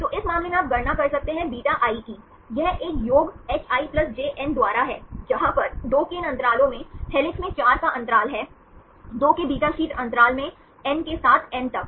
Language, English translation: Hindi, So, in this case you can calculate βi, this is a summation hi+j by n, where here these intervals of 2, the helix we have interval of 4, in the beta sheet interval of 2, with up to n, where n is the number of residues in the strand